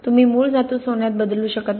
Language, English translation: Marathi, You cannot turn base metals into gold